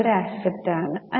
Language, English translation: Malayalam, It's an asset, right